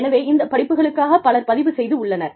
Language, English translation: Tamil, So, many people, have registered, for these courses